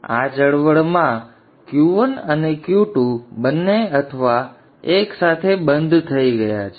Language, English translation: Gujarati, Now at this moment Q2 and Q1 and Q2 both are turned off together